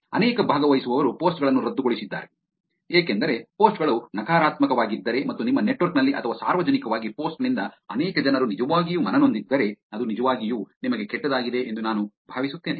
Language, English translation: Kannada, Many participants canceled the posts, because, I think it is because if the posts are negative, and many people are going to be actually offended by the post within your network or in public, it is actually going to be bad for you